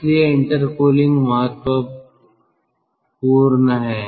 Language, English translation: Hindi, so intercooling is important then